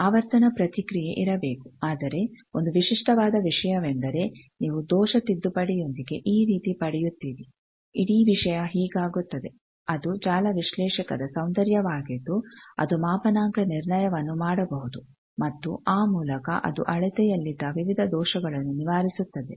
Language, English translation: Kannada, There should be a frequency response, but a typical thing is you get like this with error correction the whole thing becomes this, that is the beauty of network analyzer that it can do calibration and by that it can eliminate various errors in measurement bench based measurement could not do that